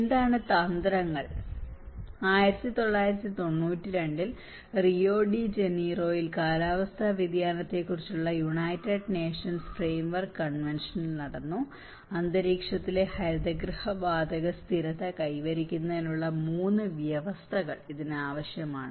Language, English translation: Malayalam, And what are the strategies and in 1992, in Rio de Janeiro,United Nations Framework Convention on Climate Change has been held, and it takes 3 conditions which has been made explicit towards the goal of greenhouse gas stabilization in the atmosphere